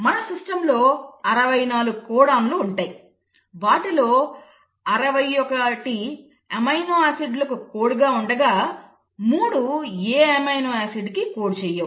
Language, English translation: Telugu, And there are 64 codons in our system out of which, 61 of them code for amino acids, while 3 of them do not code for any amino acid